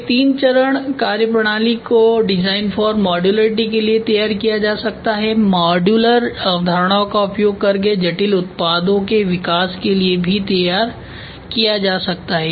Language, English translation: Hindi, A three phase methodology can be devised for design for modularity, for the development of complex products using modularity concepts